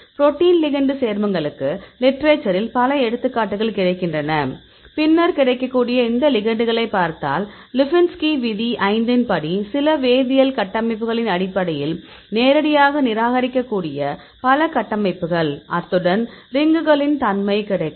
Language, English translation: Tamil, So, several examples available in literature for the protein ligand complexes, then if you look into these available ligands; many structures you can directly reject based on some of these chemical structures; as well as the availability of the rings or the lipinski rule of five